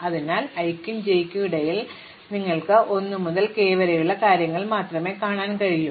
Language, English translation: Malayalam, So, between i and j, you can only seen things from 1 to k